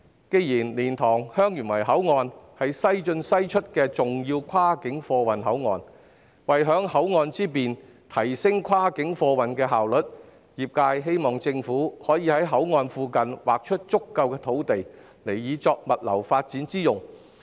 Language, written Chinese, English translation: Cantonese, 既然蓮塘/香園圍口岸是"西進西出"的重要跨境貨運口岸，為享口岸之便，提升跨境貨運的效率，業界希望政府可以在口岸附近劃出足夠土地，以作物流發展之用。, Since the LiantangHeung Yuen Wai Port is an important West in West out cross - border cargo port in order to enjoy the convenience of the port facilities and enhance the efficiency of cross - border freight the industry hopes that the Government can reserve enough land near the port for logistics development